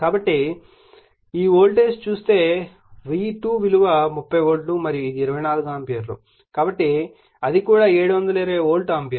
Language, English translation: Telugu, So, if you see this voltage is your V2 is 30 volt and this is 24 ampere so, that is also 720 volt ampere right